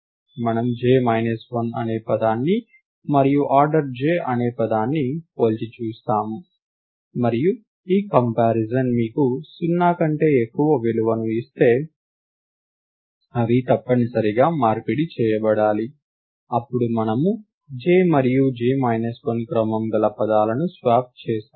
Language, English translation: Telugu, We compare the word whose order is j minus 1, and the word whose order is j, and if the comparison gives you a value more than 0 which means they must be exchanged, then we swap the words order of j and order of j minus 1